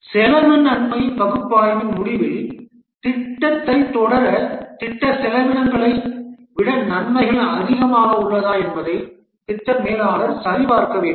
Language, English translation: Tamil, At the end of the cost benefit analysis, the project manager needs to check whether the benefits are greater than the costs for the project to proceed